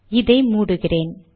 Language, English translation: Tamil, Let me close this